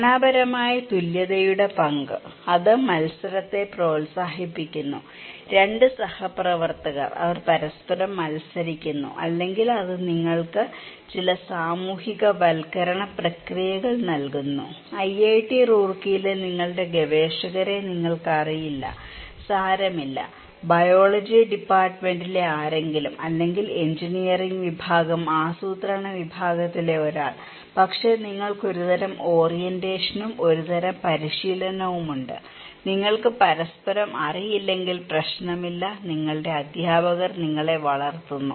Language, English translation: Malayalam, The role of structural equivalence, it promotes competition, 2 colleagues, they are competing with each other or it kind of gives you some socialization process, you do not know your researchers in IIT Roorkee, does not matter, somebody in biology department, somebody in engineering department, somebody in a planning department but you have some kind of orientation, some kind of training, it does not matter if you do not know each other, your teachers grooming you